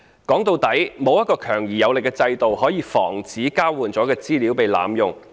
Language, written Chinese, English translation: Cantonese, 說到底，並沒有一個強而有力的制度，可以防止交換了的資料被濫用。, At the end of the day there is not a robust system to prevent abuse of the use of the exchanged information